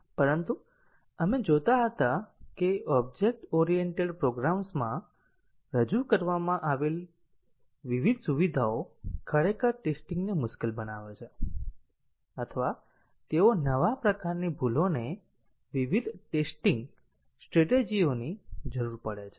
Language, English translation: Gujarati, But we were seeing that the different features introduced in object oriented programs actually make testing either difficult, or they cause new types of bugs requiring different testing strategies